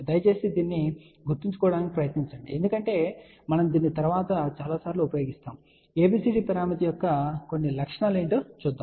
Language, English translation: Telugu, Please try to remember this because we are going to use this later on, few properties of ABCD parameter